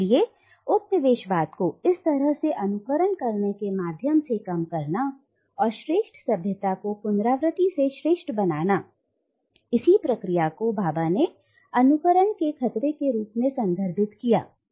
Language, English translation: Hindi, So this possibility of comically undermining the coloniser and his superior civilizational position through a partial repetition, this is what Bhabha refers to as the menace of mimicry